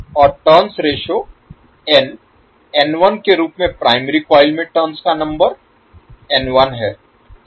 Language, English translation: Hindi, And have the turns ratio N 1, N turns number of turns in primary coil as N 1